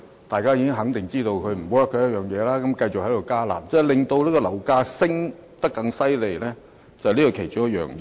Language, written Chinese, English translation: Cantonese, 大家肯定已知道"辣招"無效，但政府卻繼續"加辣"，這是令樓價升得更厲害的原因之一。, By now everybody must surely know that the curb measures are ineffective yet the Government just continues to increase their intensity which is exactly one of the factors that further fuels the property market